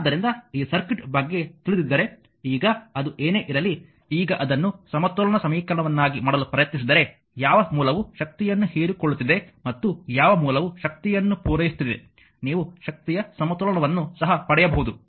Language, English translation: Kannada, So, whatever it is now if you for this circuit if you knowing if you now try to make it the power balance equation that which source is observing power and which source is supplying power you can get the power balance also